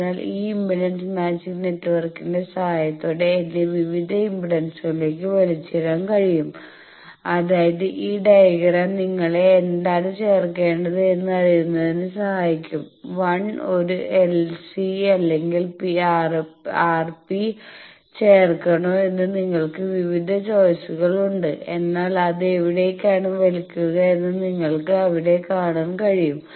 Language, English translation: Malayalam, So, with the help of this impedance matching network, I can be pulled to various impedances that is this diagram will help you that which 1 to add whether to add an l S R P you have various choices, but where it will be pulled you can see here and